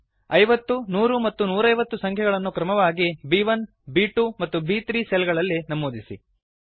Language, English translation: Kannada, Enter the numbers 50,100 and 150 within the cells referenced B1, B2 and B3 respectively